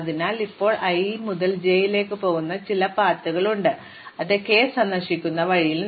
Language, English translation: Malayalam, So, we have now some path which goes from i to j and on the way it visits k